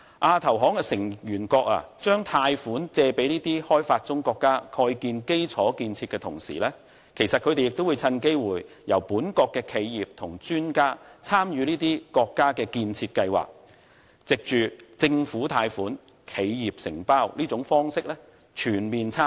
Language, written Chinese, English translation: Cantonese, 亞投行成員國把貸款借給發展中國家蓋建基礎設施的同時，他們亦會趁機會由本國企業和專家參與這些國家的建設計劃，藉着政府貸款、企業承包的方式全面參與。, AIIB members who extend loans to developing countries for infrastructure construction will also grasp the opportunity to let their own enterprises and experts participate in the construction projects of these countries . Through government loans and corporation contractorship AIIB members will participate extensively